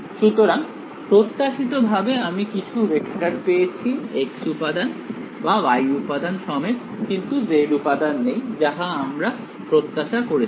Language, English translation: Bengali, So, on expected lines I have got some vector with a x component or y component and no z component right, that is what we expect